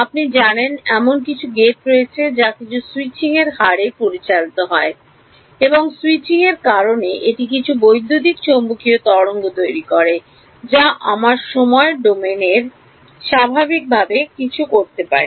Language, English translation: Bengali, There is some you know gate that is operating at some switching rate and because of the switching it is producing some electromagnetic waves that we something naturally in the time domain